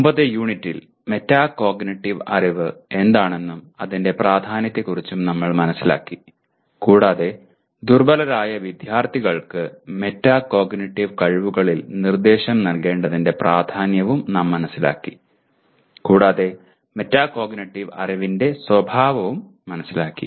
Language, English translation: Malayalam, In the earlier unit we understood what metacognitive knowledge is and its importance and also we understood the importance of giving instruction in metacognitive skills to weaker students and also understood the nature of the metacognitive knowledge itself